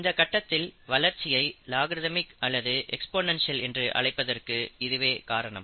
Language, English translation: Tamil, And that is the reason why it is called logarithmic growth phase or the exponential growth phase